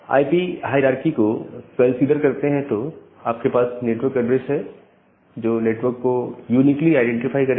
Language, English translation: Hindi, By considering this IP hierarchy, where you have this concept of network address which will uniquely identify a network